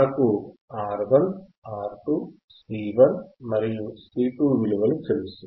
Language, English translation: Telugu, We have value of R 1, R 2, C 1 and C 2